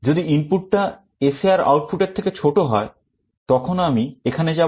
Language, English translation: Bengali, If the if the input is less than that the SAR output; then I go here